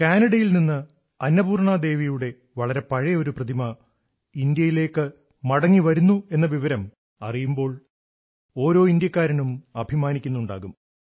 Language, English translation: Malayalam, Every Indian will be proud to know that a very old idol of Devi Annapurna is returning to India from Canada